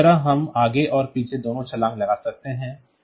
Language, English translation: Hindi, So, that way we can do both forward and backward jumps and